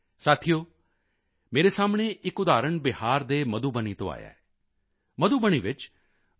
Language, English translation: Punjabi, before me is an example that has come from Madhubani in Bihar